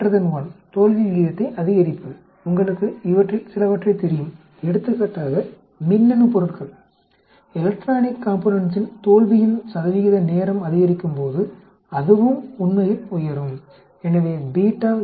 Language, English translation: Tamil, Beta greater than 1, increasing failure rate know some of these, for example electronic components as time goes up the percentage of failure will also go up actually, so beta greater than 1